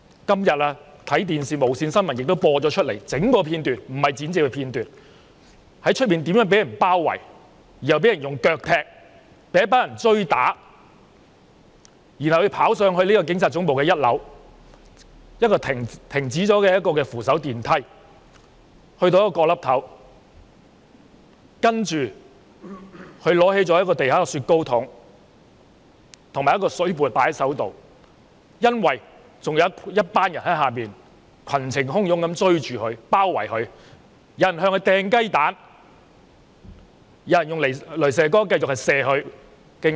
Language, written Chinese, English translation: Cantonese, 今天無綫電視新聞播放了整段片段——不是剪接的片段——他在門外被一群人包圍、腳踢、追打，要走上一條停止運作的扶手電梯，跑到一個角落，拿起地上的"雪糕筒"及窗刮，因為下方還有一群人群情洶湧的追着包圍他，有人向他擲雞蛋，有人繼續用雷射燈照射他的雙眼。, Today the whole video clip―not an edited one―was broadcast on TVB News . Surrounded kicked and chased by a group of people outside the entrance he had to dash up an escalator which had stopped operating ran into a corner and picked up a traffic cone and a glass wiper from the ground because a bunch of people below were chasing and mobbing him fiercely . Some people hurled eggs at him